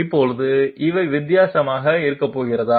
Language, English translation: Tamil, Now are these going to be different